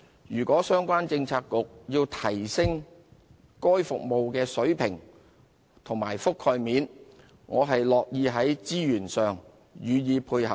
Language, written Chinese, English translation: Cantonese, 如果相關政策局要提升該服務的水平及覆蓋面，我樂意在資源上予以配合。, If the relevant Policy Bureau wants to enhance the standard and coverage of this service I am willing to deploy resources to support it